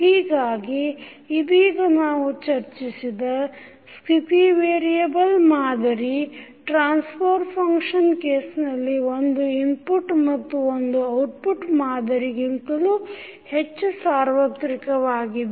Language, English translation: Kannada, So therefore, the state variable model which we have just discussed is more general than the single input, single output model which we generally see in case of the transfer function